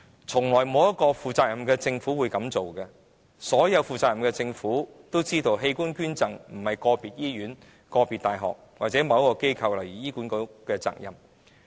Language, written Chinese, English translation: Cantonese, 從來也沒有一個負責任的政府會這樣做，所有負責任的政府也知道，器官捐贈並非個別醫院、個別大學或某機構，例如醫管局的責任。, Not any single responsible government has ever done that . All responsible governments know that organ donation is not a responsibility of an individual hospital university or institution such as HA